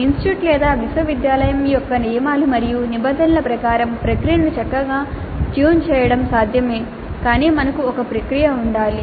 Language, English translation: Telugu, It is possible to fine tune the process according to the rules and regulations of the institute or the university but we must have a process